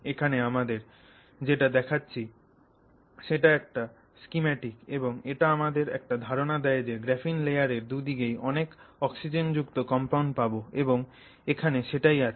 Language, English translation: Bengali, What I'm showing you on screen is just a schematic, but it represents this idea that you will have a lot of these oxygen containing compounds on either side perhaps of the graphene layer and that's what you have